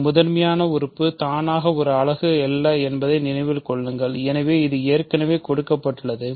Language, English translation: Tamil, Remember a prime element is automatically not a unit, so that is already given